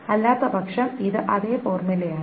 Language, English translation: Malayalam, And then it is the same formula otherwise